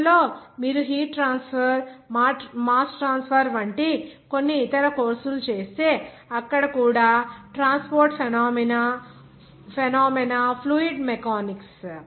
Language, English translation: Telugu, So in future also if you do some other courses like heat transfer mass transfer; even transport phenomena fluid mechanics in there